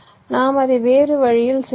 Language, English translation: Tamil, we have to do it in a different way, right